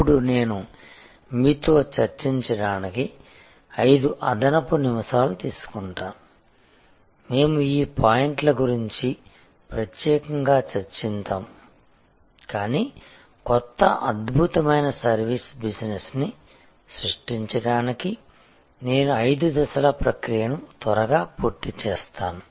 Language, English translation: Telugu, Now, I will take you may be 5 extra minutes to discuss with you we have discussed these points separately, but I will quickly go through five step process for creating a new excellent service business